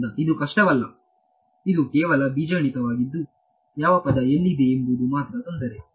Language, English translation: Kannada, So, this is not difficult it is just algebra keeping track of which term is where and all right the only difficulty actually